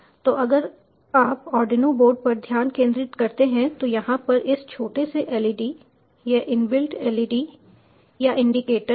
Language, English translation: Hindi, so if you focus on the arduino board, this small led over here, this is the inbuilt led or the indicator